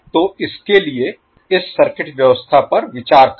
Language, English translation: Hindi, So for that lets consider this particular circuit arrangement